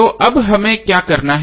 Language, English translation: Hindi, So now what we have to do